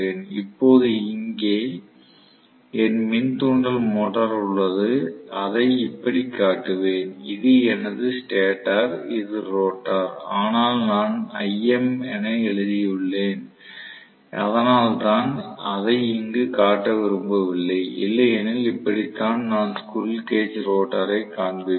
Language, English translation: Tamil, Now, here is my induction motor, so induction motor let me show it like this, this is my stator, the rotor I can show internally, but I have written big IM so I do not want to show it there otherwise this is the way I will show the squirrel cage rotor